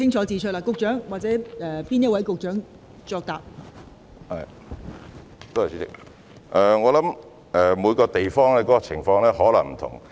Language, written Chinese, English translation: Cantonese, 代理主席，我想每個地方的情況或有不同。, Deputy President I think the situation in each place may vary